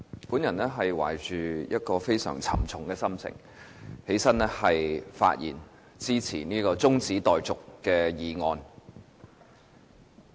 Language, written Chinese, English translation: Cantonese, 主席，我懷着非常沉重的心情站起來發言支持這項中止待續議案。, President it is with a heavy heart that I rise to speak in support of this motion on adjournment